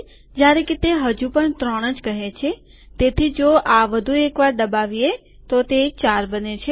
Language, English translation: Gujarati, So it still says three, so if click this once more, so it becomes 4